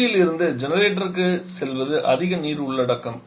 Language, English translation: Tamil, The one going from absorber to generator is more water content